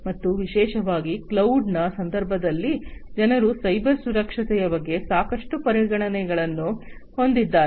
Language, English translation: Kannada, And particularly in the context of cloud, people have lot of considerations about cyber security